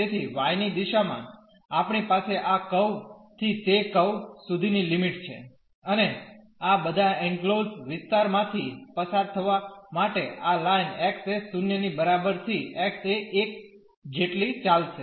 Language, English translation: Gujarati, So, in the direction of y we have the limits from this curve to that curve, and these lines will run from x is equal to 0 to x is equal to 1 to go through all this enclosed area